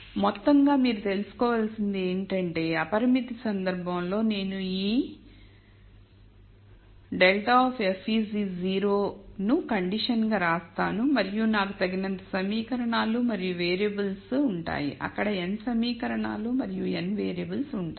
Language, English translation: Telugu, So, in summary what you need to know is that in the unconstrained case it is very clear that I just simply write this grad of f is 0 as the condition and I will have enough equations and variables there will be n equations and n variables